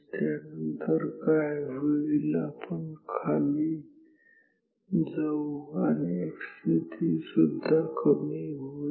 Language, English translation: Marathi, After, that what happens we go down and x position also decreases